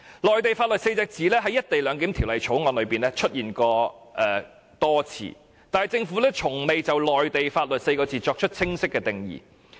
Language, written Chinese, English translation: Cantonese, "內地法律"這4個字在《條例草案》中多次出現，但政府卻從未就這4個字作出清晰的定義。, The four words laws of the Mainland appeared many times in the Bill but the Government has not provided them with a clear definition